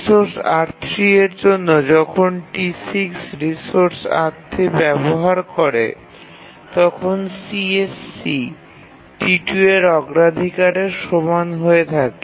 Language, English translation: Bengali, When T6 sets the, it uses the resource R3, the CSE is set equal to the priority of T2